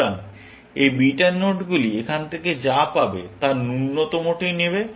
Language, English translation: Bengali, So, these beta nodes will take the minimum of what they get from here